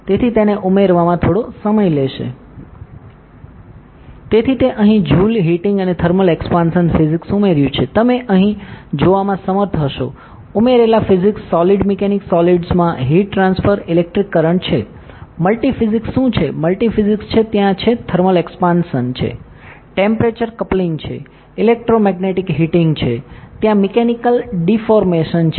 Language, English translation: Gujarati, So, it has added the joule heating and thermal expansion physics here, the added physics you will be able to see here, ok; solid mechanics, heat transfer in solids, electric current is there, multi physics what are multi physics are there, thermal expansion is there, temperature coupling is there, electromagnetic heating is there mechanical deformation is there